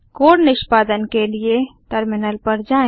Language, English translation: Hindi, To execute the code, go to the terminal